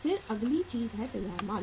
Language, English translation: Hindi, Then is the next thing is the finished goods